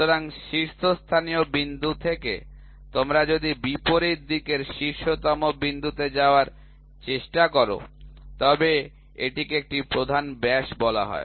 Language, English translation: Bengali, So, from the topmost point, if you try to take to the opposite side topmost point so, that is called as a major diameter so, major diameter